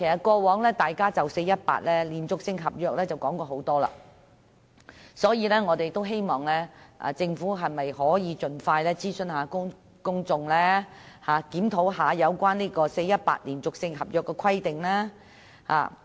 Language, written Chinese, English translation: Cantonese, 過往大家已就 "4-18" 連續性合約規定進行多次討論，所以我們希望政府盡快諮詢公眾，檢討 "4-18" 連續性合約規定。, We have discussed the 4 - 18 continuous contract requirement many times before . Hence we hope that the Government will expeditiously consult the public and review the 4 - 18 continuous contract requirement